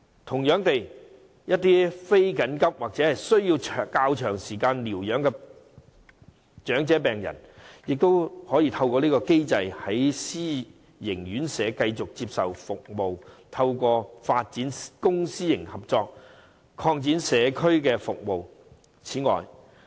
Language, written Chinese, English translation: Cantonese, 同樣地，一些非緊急或需要較長時間療養的長者病人，也可以透過這個機制，在私營院舍繼續接受服務，透過發展公私營合作，擴展社區服務。, By the same token certain elderly patients with non - emergency needs or requiring a longer recovery time may be handled under the same mechanism so that they can continue to receive care in self - financing RCHEs . The authorities should expand community care services by developing private - public cooperation